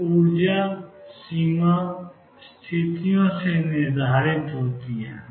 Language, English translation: Hindi, So, the energy is determined by boundary conditions